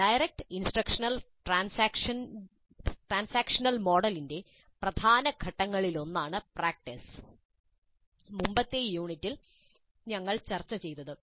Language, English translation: Malayalam, Practice is one of the main phases of the transaction model of direct instruction that we discussed in the earlier unit